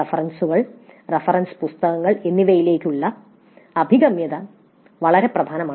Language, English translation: Malayalam, Access to references, reference books and all, that is also very important